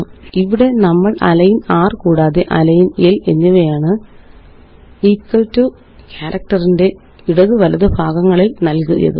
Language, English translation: Malayalam, So here, we have used align r and align l to align the parts to the right and the left of the equal to character